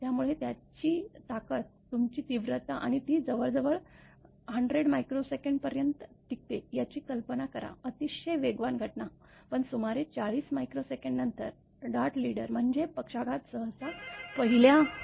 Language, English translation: Marathi, So imagine its strength, your intensity and it last about hardly 100 microsecond; very fast phenomena, but about 40 micro second later; a second leader called dart leader, means stroke usually following the same path taken by the first leader